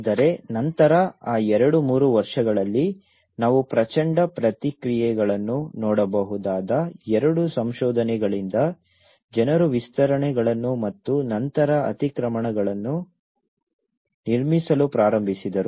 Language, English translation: Kannada, On but then, from the two findings which we could able to see a tremendous responses in those two three years, people started building extensions and then encroachments